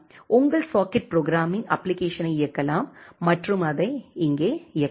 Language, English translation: Tamil, You can run your socket programming application and run it here